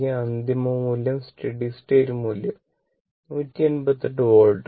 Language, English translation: Malayalam, The final value steady state value is 180 volt right